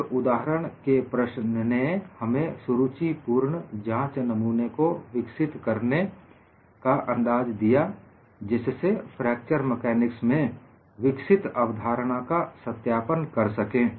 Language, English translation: Hindi, One of the example problems provided a clue to develop interesting specimens for verifying concepts developing fracture mechanics